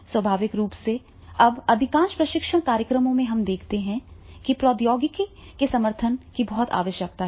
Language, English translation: Hindi, Naturally nowadays in the most of the training programs we see that is the help of support of technology is very much required